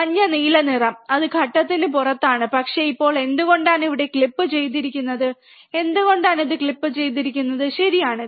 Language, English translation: Malayalam, Yellow and blue it is the out of phase, but why it is the now clipped here why it is clipped, right